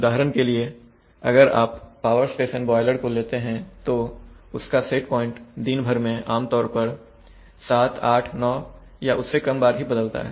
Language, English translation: Hindi, For example if you take a power station boiler, then it set point over a day will typically be changed 7, 8, 9 times maybe less